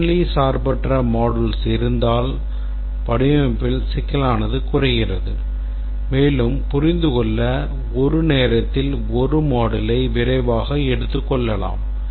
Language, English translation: Tamil, If we have a functionally independent set of modules, the complexity in the design is reduced and we can take up one module at a time quickly able to understand